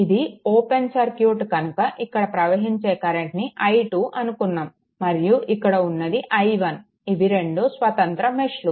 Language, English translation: Telugu, So, this is open so, current is flowing like this here the way I have taken i 2, this is i 2 and this is your i 1 2 independent mesh